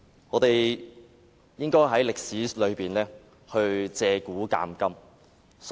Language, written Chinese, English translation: Cantonese, 我們應該從歷史借古鑒今。, We should learn lessons from history